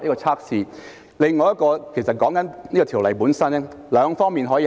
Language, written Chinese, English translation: Cantonese, 此外，要改善《條例》，我們可以從兩方面考慮。, Moreover for the improvement of the Ordinance we can take into consideration two points